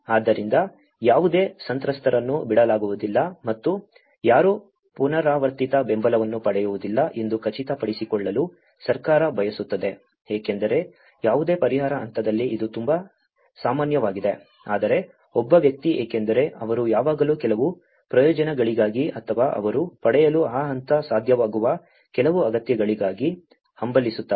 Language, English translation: Kannada, So, the government want to make sure that no victim is left out and no one gets repeated supports because it is very common in any relief stage but one person because they are always craving for certain benefits or some needs which they are able to get in that phase